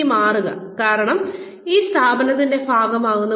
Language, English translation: Malayalam, Now change, because you become a part of this organization